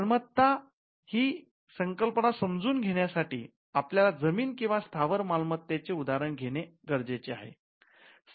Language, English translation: Marathi, Now, to understand the concept of property, we need to take the analogy of land or landed property